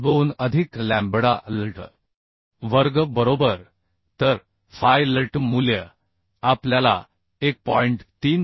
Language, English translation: Marathi, 2 plus lambda LT square right So phi LT value we are getting 1